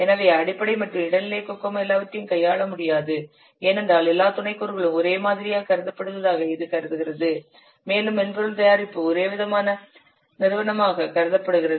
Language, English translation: Tamil, So your basic and intermediate Kokomo cannot handle all these things because it considers all the sub components are treated as similar because the what software product is considered as a single homogeneous entity